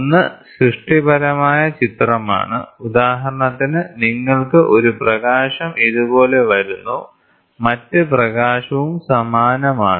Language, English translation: Malayalam, One is constructive image for example you have one light coming like this, the other light is also of the same thing